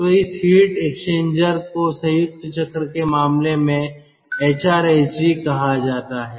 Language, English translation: Hindi, so this heat exchanger is called hrsg in case of combined cycle and ah